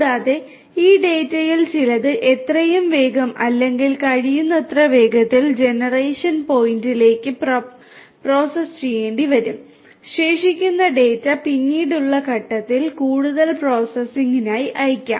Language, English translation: Malayalam, And some of this data will have to be processed as soon as or as close as possible to the point of generation and the rest of the data can be sent for further processing at a later point in time